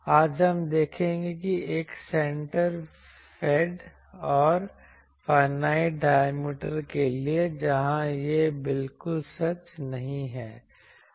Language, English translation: Hindi, Today, we will see that for a center fed and finite diameter, where this is not exactly true